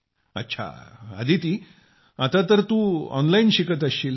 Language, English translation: Marathi, Ok Aditi, right now you must be studying online